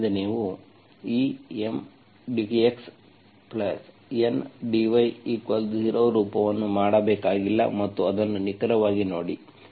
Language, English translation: Kannada, So this is, you do not have to make this M dx plus N, N dy equal to 0 form and see that is an exact